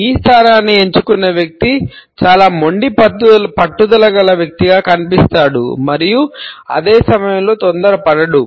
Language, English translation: Telugu, The person who has opted for the E position comes across as a person who is very stubborn and persistent and at the same time is not hurried